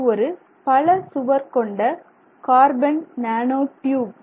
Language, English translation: Tamil, So, you have multi walt carbon nanotubes